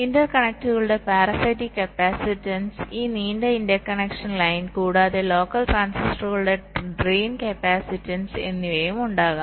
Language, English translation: Malayalam, there can be the parasitic capacitance of the interconnects, this long interconnection line, and also the drain capacitance of the local transistors